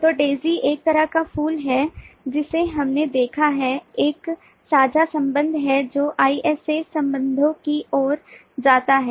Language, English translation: Hindi, so daisy is a kind of flower we saw is a sharing connection which leads to isa relationship